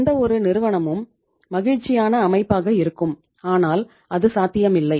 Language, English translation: Tamil, Any firm would be the happiest organization but itís not possible